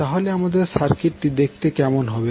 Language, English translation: Bengali, So, how our circuit will look like